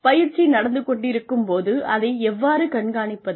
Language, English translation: Tamil, How do we monitor the training, when it is going on